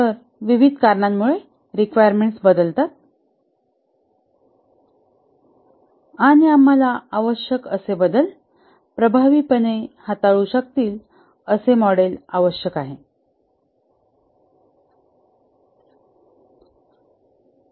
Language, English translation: Marathi, So the requirements change due to various reasons and we need a model which can effectively handle requirement changes